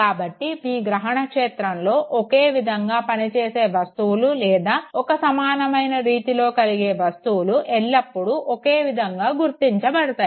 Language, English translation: Telugu, So, objects in our perceptual field that function or move together in similar manner, they will always be perceived together